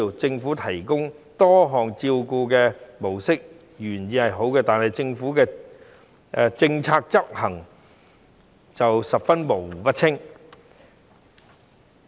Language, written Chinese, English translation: Cantonese, 政府提供多項照顧模式的原意是好的，但政府的政策執行卻模糊不清。, Although the intention of the Government in providing various modes of care is good there is ambiguity in the execution of its policies